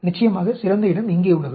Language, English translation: Tamil, The best place of course is here